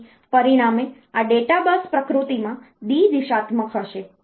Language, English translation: Gujarati, So, as a result this data bus is going to be bi directional in nature